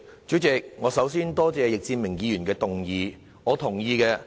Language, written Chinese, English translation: Cantonese, 主席，我首先多謝易志明議員動議這項議案。, President I would first of all like to thank Mr Frankie YICK for moving this motion